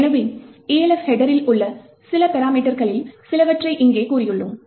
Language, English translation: Tamil, So, here we have actually said some of the few parameters present in the Elf header